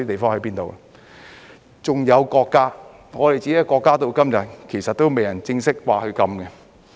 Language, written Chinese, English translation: Cantonese, 還有國家，我們自己的國家至今其實仍未正式說禁止。, Moreover our country our own country has not officially announced a ban up to the present